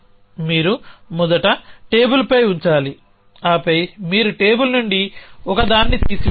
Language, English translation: Telugu, You have to first put a on the table then you will have to pick up a from the table